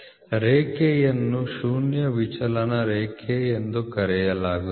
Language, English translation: Kannada, Zero line the line is known as a line of zero deviation